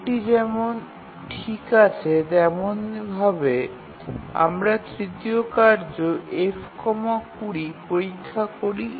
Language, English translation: Bengali, So this is okay and similarly we check for the third task F comma 20